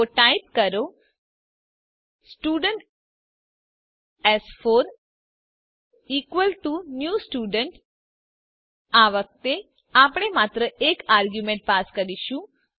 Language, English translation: Gujarati, Now let us call this constructor So type Student s4 is equalto new Student this time we will pass an single argument